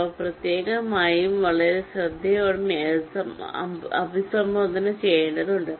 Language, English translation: Malayalam, they need to be addressed separately and very carefully